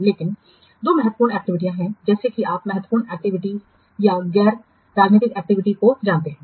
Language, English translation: Hindi, So, there are two major activities as you know, critical activity and non critical activity